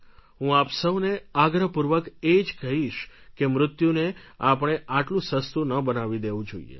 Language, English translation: Gujarati, I would request you all that do not make death so cheap